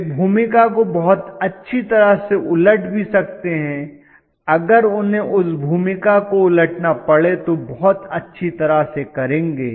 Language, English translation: Hindi, They can reverse the role very well, if they have to reverse the role they will do that very nicely okay